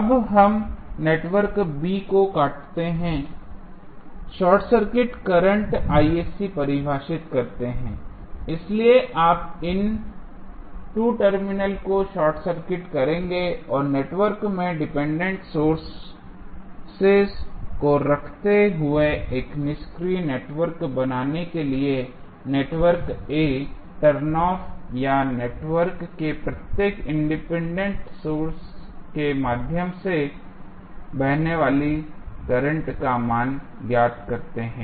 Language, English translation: Hindi, Now, we disconnect the network B defined current Isc that is the short circuit current so you will short circuit these 2 terminals right and you find out the value of circuit current flowing through the shorted terminal of network A turnoff or 0 out the every independent source in the network to form an inactive network while keeping the dependent sources in the network